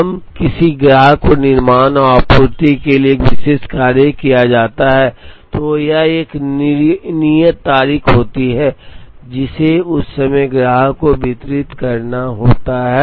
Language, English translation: Hindi, Now, when a particular task is taken up for manufacture and supply to a customer, there is a due date, which, at which time this is to be delivered to the customer